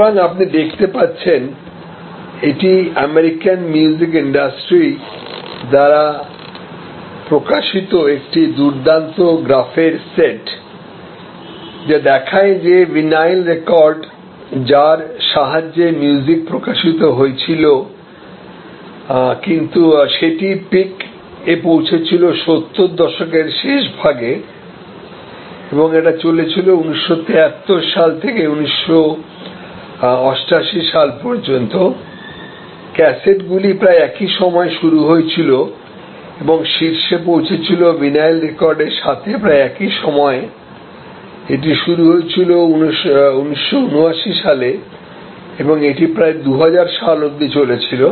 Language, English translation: Bengali, So, you can see this is a very nice graph set of graph published by the American music industry, which shows that for example, say that is vinyl records and which music was published and reached it is peak in late 70's survive from 1973 till 1988 cassettes came about and picked around the same time as this vinyl records in somewhere around 1979, but survived till about 2000